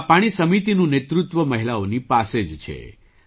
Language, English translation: Gujarati, The leadership of these water committees lies only with women